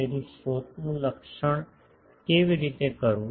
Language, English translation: Gujarati, So, how do characterise sources